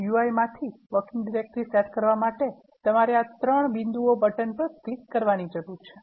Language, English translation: Gujarati, R, to set the working directory from the GUI, you need to click on this 3 dots button